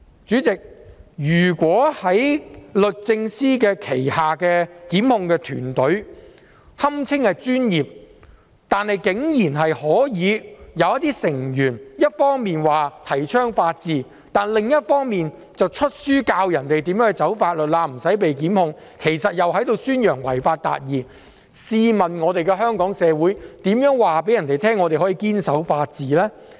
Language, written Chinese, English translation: Cantonese, 主席，如果在律政司轄下的檢控團隊，即堪稱專業的團隊中，竟然有成員一方面提倡法治，另一方面卻出版書籍教人如何"走法律罅"而不被檢控，其實在宣揚違法達義，試問香港社會如何告訴他人我們可以堅守法治呢？, President how can Hong Kong show its commitment to the rule of law when a member of the so - called professional prosecution team under the Department of Justice advocated the rule of law on the one hand while on the other published a book which teaches people how to circumvent the law to avoid prosecution and in effect promotes achieving justice by violating the law?